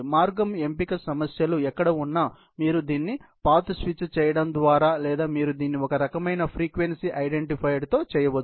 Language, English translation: Telugu, And wherever that is the path selection issues, you can do it either a path switch or you can do it with some kind of frequency identifier